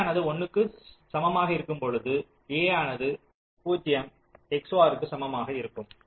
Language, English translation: Tamil, so when a equal to zero, the whole function is zero xor